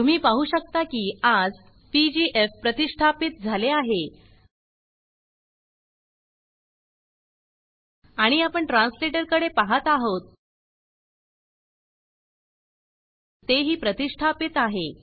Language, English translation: Marathi, you can see that pgf is installed today, then, we are looking at translator, translator is also installed